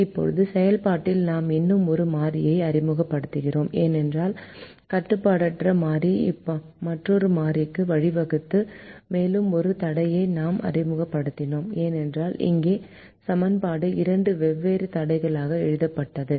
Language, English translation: Tamil, now in the process we introduced one more variable because the unrestricted variable gave rise to another variable and we introduced one more constraint because the equation here was written as two different constraints